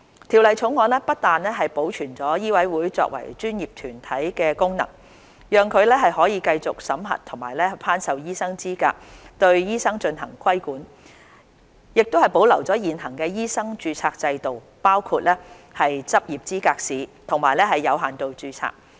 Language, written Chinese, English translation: Cantonese, 《條例草案》不但保存醫委會作為專業團體的功能，讓其可繼續審核和頒授醫生資格及對醫生進行規管，亦保留現行的醫生註冊制度，包括執業資格試和有限度註冊。, MCHK to assess and confer professional qualifications on their own . The Bill preserves not only MCHKs status as the professional organization to assess and confer medical qualifications and to regulate the doctors but also the existing medical registration regime including such pathways as Licensing Examination and limited registration